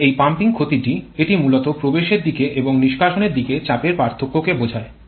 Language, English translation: Bengali, Here this pumping loss this one actually refers to the loss due to the pressure difference between the inlet side and exhaust side